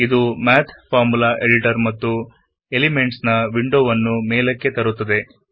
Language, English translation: Kannada, This brings up the Math Formula Editor and the Elements window